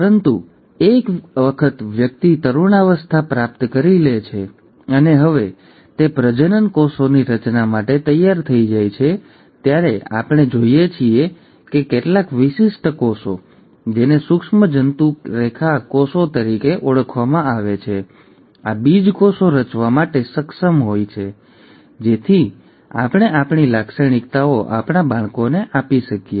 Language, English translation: Gujarati, But, once one attains puberty and is now ready for formation of gametes, we find that certain specialized cells, called as the germ line cells, are capable of forming these gametes, so that we can pass on our characteristics to our children